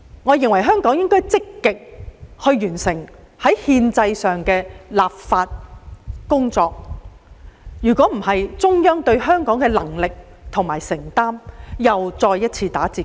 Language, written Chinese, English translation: Cantonese, 我認為香港政府應積極完成這項憲制上的立法工作，否則中央對港府能力和承擔的印象，必又再次大打折扣。, I consider it necessary for the Hong Kong Government to act proactively and fulfil its constitutional duty by completing this legislative task otherwise the Central Authorities impression of the competence and commitment of the Hong Kong Government will definitely be spoilt again